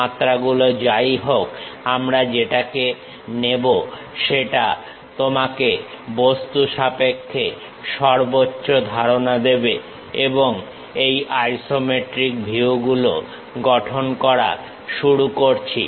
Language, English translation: Bengali, Whatever the dimensions give you maximum maximum idea about the object that one we will take it and start constructing these isometric views